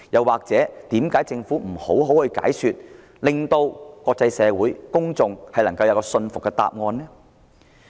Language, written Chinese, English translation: Cantonese, 為何政府不詳細解說，向國際社會及公眾提供令人信服的答案？, Why didnt the Government give the international community and members of the public a detailed explanation and a convincing answer?